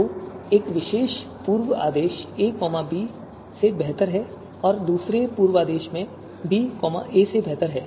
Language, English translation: Hindi, So you know one particular pre order, one particular pre order, a is better than b and the another you know pre order, b is better than a